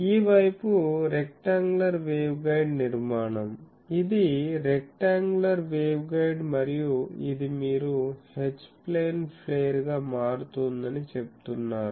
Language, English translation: Telugu, So, this side is the rectangular waveguide structure, it is a rectangular waveguide, it is a rectangular waveguide and this you are saying that H plane is getting flared